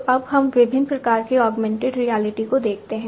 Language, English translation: Hindi, So, now let us look at the different types of augmented reality